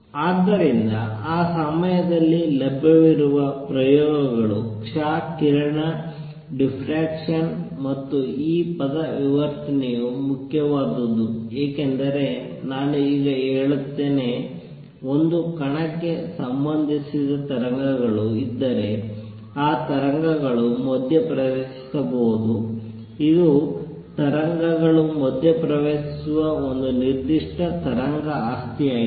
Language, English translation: Kannada, So, the experiments that were available that time was x ray diffraction, and this word diffraction is important because let me now say, if there are waves associated with a particle, these waves can interfere, that is a very specific wave property that waves interfere